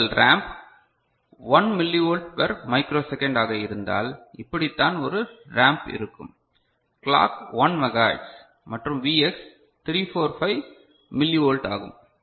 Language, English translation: Tamil, So, if your ramp is 1 milli volt per micro second so, that is the kind of ramp you are having and clock is your 1 megahertz, the clock is 1 megahertz and Vx is 345 millivolt